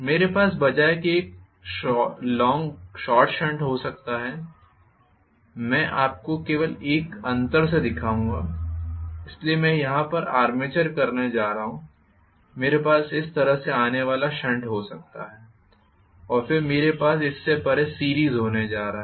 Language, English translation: Hindi, I can have instead a short shunt I will show you just by a difference, so I am going to have the armature here, I can have the shunt just coming across like this and then I am going to have the series feel beyond this